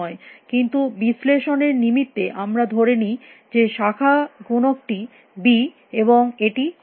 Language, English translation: Bengali, But let us assume for the sake of analysis that branching factor is b and it is constant